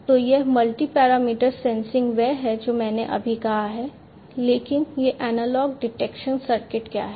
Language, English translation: Hindi, So, what is this multi parameter sensing is what I just said, but what is this analog detection circuit